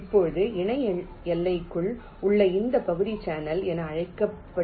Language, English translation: Tamil, now this region within the parallel boundary is called as channel